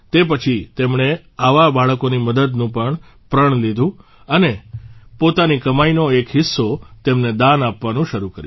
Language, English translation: Gujarati, After that, he took a vow to help such children and started donating a part of his earnings to them